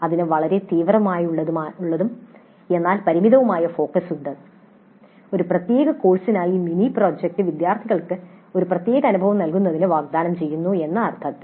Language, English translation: Malayalam, It has a very sharp but limited focus in the sense that the mini project as a separate course is offered to provide a specific kind of experience to the students